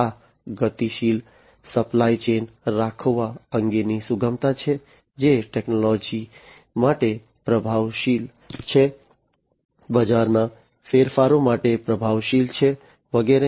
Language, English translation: Gujarati, So, this is flexibility is about having dynamic supply chains, which are responsive to technologies, responsive to market changes, and so on